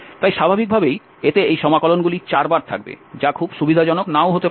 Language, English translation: Bengali, So naturally that will have these integrals four times which may not be very convenient